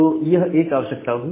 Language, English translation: Hindi, So, that is one requirement